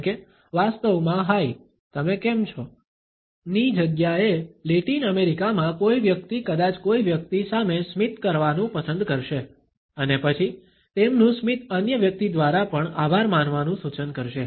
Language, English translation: Gujarati, For example, instead of actually saying hi, how are you, a person in Latin America perhaps would prefer to smile at a person and then their smile would suggest the thank you attitude, also by another person